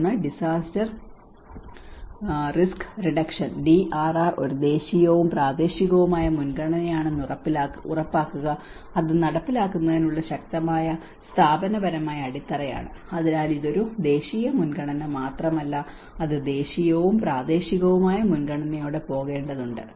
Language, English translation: Malayalam, One is ensure that disaster risk reduction DRR is a national and local priority with a strong institutional basis for implementation, so it is not just only a national priority it has to go with a national and as well as a local priority